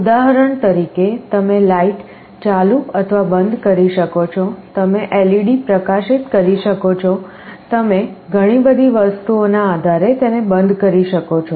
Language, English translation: Gujarati, Like for example, you can turn on or turn off a light, you can glow an LED, you can turn it off depending on so many things